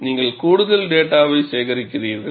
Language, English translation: Tamil, So, you are collecting additional data